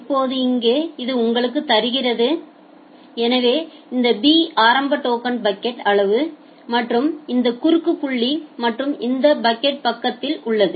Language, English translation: Tamil, Now here this gives you so this b is the initial token bucket size and this cross point and at this packet side